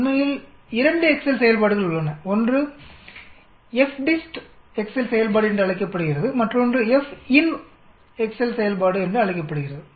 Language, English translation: Tamil, In fact, there are 2 Excel functions, one is called the FDIST Excel function, other is called FINV Excel function